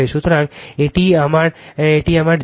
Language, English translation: Bengali, So, this is my your this is my Z right